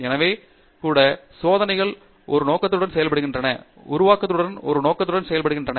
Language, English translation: Tamil, So, even experiments are done with a purpose, simulations are done with a purpose